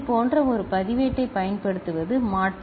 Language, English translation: Tamil, Alternative is to use a register like this